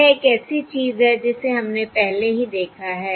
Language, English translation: Hindi, This is something that we have already seen